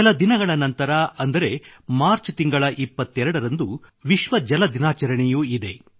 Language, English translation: Kannada, A few days later, just on the 22nd of the month of March, it's World Water Day